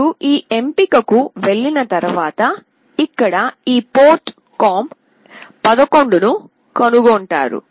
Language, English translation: Telugu, Once you go to this option you will find this port com11 here